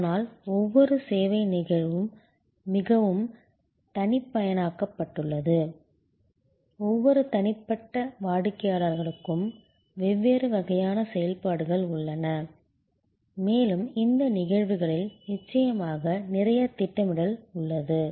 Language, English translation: Tamil, But, each service instance is quite customized, there are different sequences of activities for each individual customer and in these cases of course, there is lot of scheduling involved